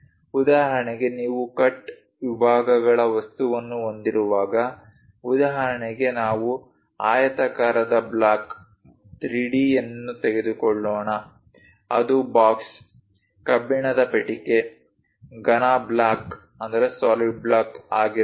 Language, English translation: Kannada, For example, when you are having a cut sections object for example, let us take a rectangular block 3D one; it can be a box, iron box, solid block